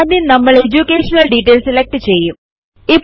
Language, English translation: Malayalam, So first select the heading EDUCATION DETAILS